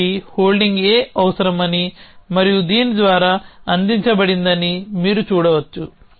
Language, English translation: Telugu, So, you can see that this needs holding A and that is provided by this